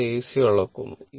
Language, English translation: Malayalam, It measures the AC right